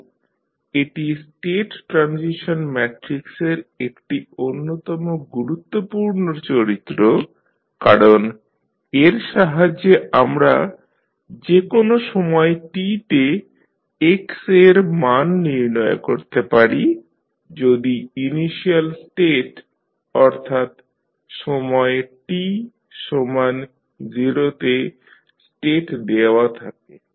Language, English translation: Bengali, So, this is one of the most important property of the state transition matrix because with the help of this we can completely find the value of x at any time t given the initial state that is state at time t is equal to 0